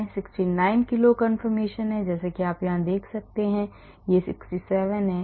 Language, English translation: Hindi, There is a 69 kilo calorie conformation as you can see here this is 67